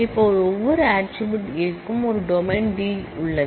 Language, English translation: Tamil, Now, every attribute A i has a domain D i